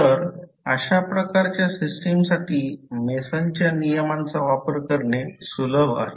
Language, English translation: Marathi, So, in this way the application of Mason’s rule is easier for those kind of systems